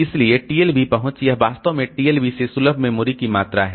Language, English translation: Hindi, So, TLB rich, so this is actually the amount of memory accessible from TLB